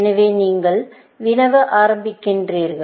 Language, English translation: Tamil, So, you start querying, essentially